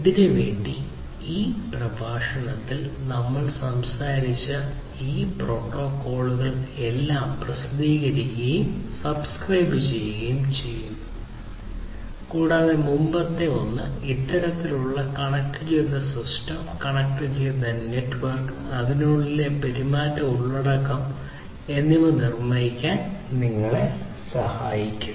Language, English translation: Malayalam, And for this, all these protocols these publish, subscribe based protocols that we have talked about in this lecture and the previous one these will help you to build this kind of connected system, connected network, and the behaviors content within it